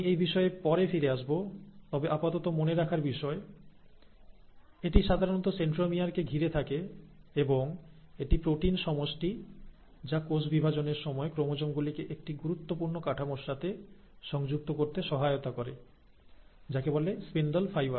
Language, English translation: Bengali, Now I will come back to this a little later but for the time being, just remember that it is usually surrounding the centromere and it is the protein complex which helps in attaching the chromosomes to a very important structure during cell division, which is called as the ‘spindle fibres’